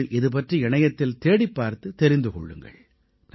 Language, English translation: Tamil, Do search more about it on the internet and see for yourself